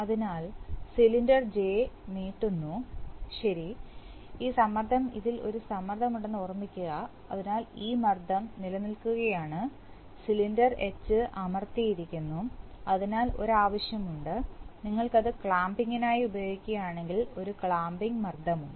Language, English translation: Malayalam, So, cylinder J extends, right, all through this remember that this pressure, there is a pressure on this, so this pressure is holding, this is pressed, cylinder H is pressed up, so there is a, if you want, if you are using it for clamping, there is a clamping pressure